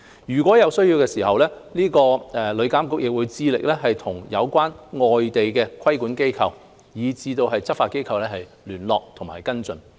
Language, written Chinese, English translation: Cantonese, 如有需要，旅監局會致力與有關的外地規管機構及執法機構聯絡及跟進。, Where necessary TIA will endeavour to liaise and follow up such cases with regulatory authorities and law enforcement bodies outside Hong Kong